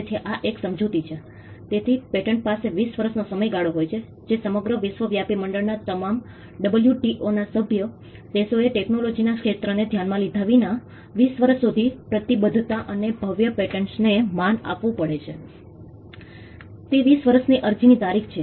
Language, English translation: Gujarati, So, this is 1 explanation, so patents have a 20 year term which is universally applicable across the board all the WTO member countries have to honor that commitment and grand patents for 20 years regardless of the field of technology it is twenty years from the date of application